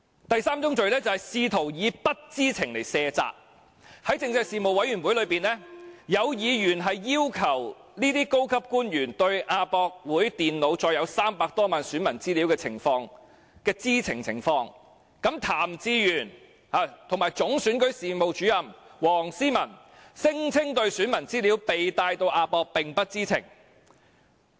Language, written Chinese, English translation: Cantonese, 第三宗罪是試圖以不知情來卸責，在政制事務委員會會議上，有議員要求這些高級官員解釋對亞博館電腦載有300多萬名選民資料的知情情況，譚志源及總選舉事務主任黃思文聲稱對選民資料被帶到亞博館並不知情。, Since I have a little over a minute left so I shall talk about the third crime which is the attempt to shirk responsibility by saying that they did not know . At the meeting of the Panel on Constitutional Affairs members requested these senior officials to explain their awareness of the computers containing information of more than 3 million voters at AsiaWorld - Expo . In response Raymond TAM and Chief Electoral Officer WONG See - man claimed that the voters information was brought to AsiaWorld - Expo without their knowledge